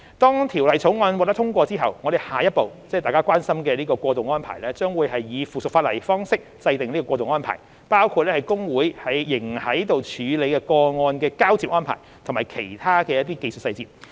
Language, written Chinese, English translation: Cantonese, 當《條例草案》獲得通過後，我們下一步，即大家關心的過渡安排，將會以附屬法例方式制訂，包括會計師公會仍在處理的個案的交接安排和其他技術細節。, After the passage of the Bill our next step ie . the transitional arrangements which are of concern to Members will be formulated by way of subsidiary legislation including the handover arrangements for cases still being handled by HKICPA and other technical details